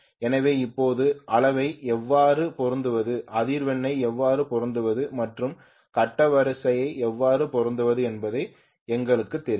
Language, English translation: Tamil, So now we know how to match the magnitude, how to match the frequency and how to match the phase sequence